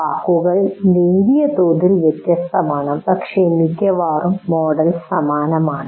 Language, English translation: Malayalam, It slightly wordings are different, but essentially the model is the same